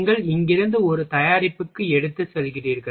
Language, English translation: Tamil, And you are taking one product from here to this one